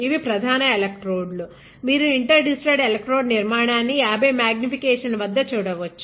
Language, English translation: Telugu, These are the main electrodes; you can see the interdigitated electrode structure at 50 x magnification